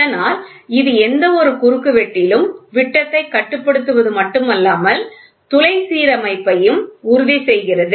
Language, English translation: Tamil, Thus it not only controls the diameter in any given cross section, but also ensures the bore alignment